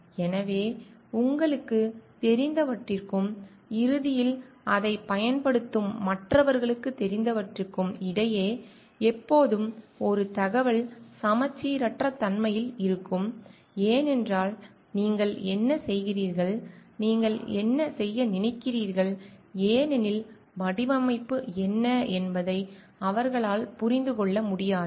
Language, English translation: Tamil, So, always there is an information asymmetry between what you know and what the others who will be ultimately using it know because it may not be possible for them to understand what is the mixing that you are doing, what you are thinking because the design is there with you